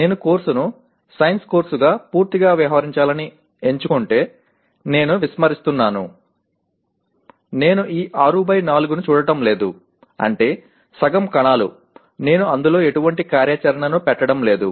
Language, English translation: Telugu, If I choose to deal with the course purely as a science course, then I am ignoring, I am not looking at this 6 by 4 that is half the cells I am not putting any activity in that